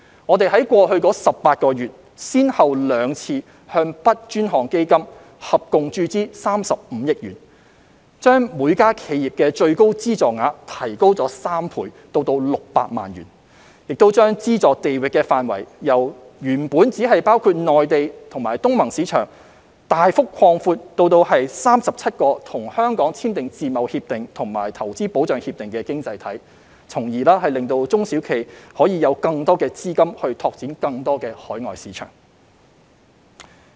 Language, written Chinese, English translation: Cantonese, 我們在過去18個月，先後兩度向 "BUD 專項基金"合共注資35億元，將每間企業的最高資助額提高3倍至600萬元，亦將資助地域範圍由原本只包括內地及東盟市場，大幅擴闊至37個已與香港簽署自由貿易協定及/或促進和保護投資協定的經濟體，令中小企可以有更多資金拓展更多海外市場。, Over the past 18 months we have made two injections totalling 3.5 billion into the Dedicated Fund on Branding Upgrading and Domestic Sales BUD Fund tripled the funding ceiling per enterprise to 6 million and significantly extended the geographical coverage from only the Mainland and the Association of Southeast Asian Nations markets initially to 37 economies with which Hong Kong has signed free trade agreements andor investment promotion and protection agreements so that SMEs will have more capital to expand into more overseas markets